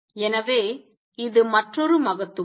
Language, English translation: Tamil, So, which is another greatness